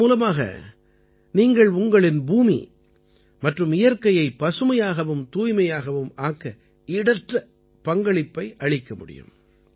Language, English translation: Tamil, Through this, you can make invaluable contribution in making our earth and nature green and clean